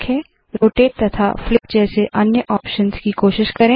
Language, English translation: Hindi, Try out operations, such as, rotate and flip